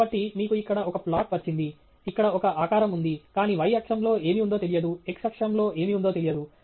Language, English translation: Telugu, So, you have got some plot here, there is some shape that shows up here, but there is no idea what’s on the y axis, no idea what’s on the x axis